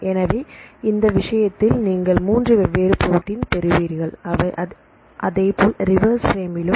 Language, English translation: Tamil, So, in this case you will get the three different proteins, likewise in the reverse frame